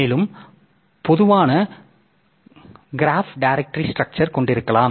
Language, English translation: Tamil, And we can we can have the general graph directory structure